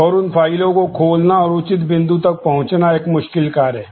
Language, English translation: Hindi, And opening those files and reaching to the appropriate point of access is a non trivial task